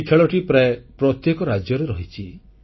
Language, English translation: Odia, It used to be played in almost every state